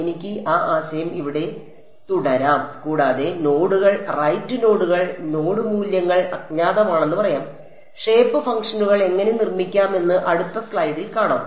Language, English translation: Malayalam, I can continue that idea here and say nodes right nodes are the node values are unknowns and we will see in the next slide how to construct the shape functions